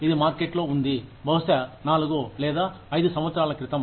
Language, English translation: Telugu, It was in the market for, maybe 4 or 5 years, at the most